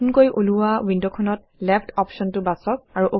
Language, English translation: Assamese, In the new window, choose the Left option